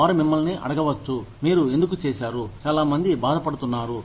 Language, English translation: Telugu, They may ask you, why you have made, so many people suffer